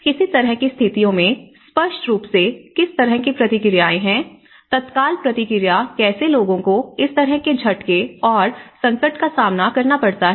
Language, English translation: Hindi, And in any kind of, situations obviously what kind of responses, the immediate response how people cope up to this kind of shocks and distress